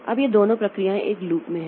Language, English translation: Hindi, Now, both these processes they are in a loop